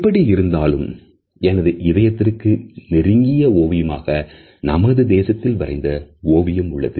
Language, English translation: Tamil, However the painting which is closest to my heart is a painting by one of my countrymen